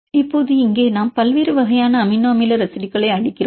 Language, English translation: Tamil, So, now here we give the position different type types of amino acid residues